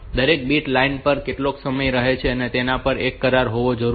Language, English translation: Gujarati, So, there needs to be an agreement on how long each bit stays on the line